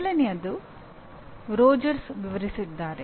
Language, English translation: Kannada, Earlier was given by Rogers